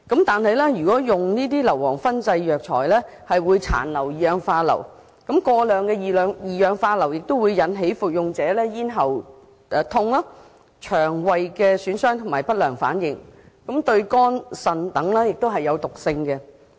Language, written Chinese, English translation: Cantonese, 但是，中藥材經硫磺燻製後，會殘留二氧化硫，而過量的二氧化硫會引起服用者咽喉疼痛、腸胃損傷等不良反應，對肝、腎等亦有毒性。, However sulphur dioxide will remain in Chinese herbal medicines fumigated with sulphur . Excessive sulphur dioxide will cause adverse reactions such as sore throat harm to the stomach etc . to users and it is also toxic to the liver and kidney